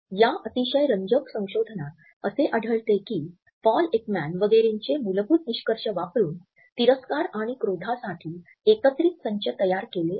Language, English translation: Marathi, In this very interesting research, we find that the basic findings of Paul Ekman etcetera have been used and bounding boxes for disgust and anger have been created